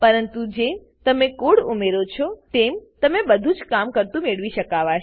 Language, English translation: Gujarati, But once you add in the code, you can have everything working